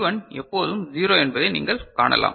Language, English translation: Tamil, You can see that D1 is always 0 ok